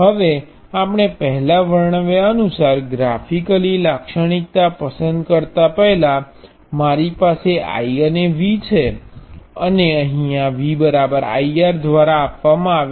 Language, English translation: Gujarati, Now, as before we also sometimes depict picked the characteristic graphically, we have I and V, and V is given by I R